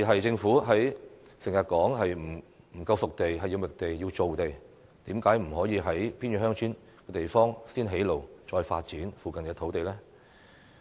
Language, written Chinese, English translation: Cantonese, 政府經常說欠缺"熟地"，需要覓地及造地，但為何不先在偏遠鄉村地方建路，然後再發展附近土地呢？, The Government often says that there is a lack of disposed sites and it needs to identify and reclaim land . But why does it not build roads in remote villages and develop land lots in the vicinity?